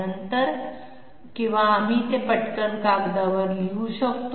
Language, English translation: Marathi, Later on or we can quickly write it down here on the on paper